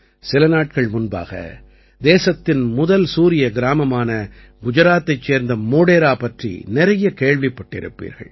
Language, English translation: Tamil, A few days ago, you must have heard a lot about the country's first Solar Village Modhera of Gujarat